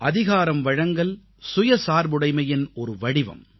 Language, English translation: Tamil, Empowerment is another form of self reliance